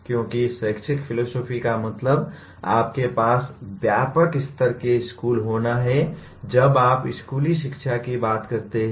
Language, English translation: Hindi, Because the educational philosophy is you have wide range of schools when it comes to school education